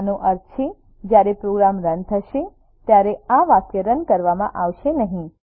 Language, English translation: Gujarati, It means, this line will not be executed while running the program